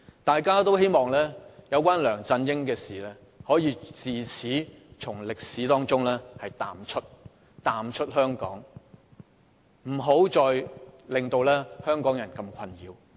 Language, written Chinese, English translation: Cantonese, 大家都希望有關梁振英的事，可以自此從香港歷史中淡出，不要再困擾香港人。, Members hope that matters concerning LEUNG Chun - ying will fade out in the history of Hong Kong and will no longer plague Hong Kong people